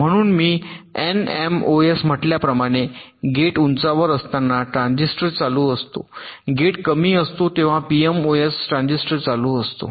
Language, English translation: Marathi, so, just as i said, an n mos transistor is on when the gate is high, pmos transistor is on when the gate is low